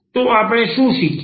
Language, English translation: Gujarati, So, what we have learn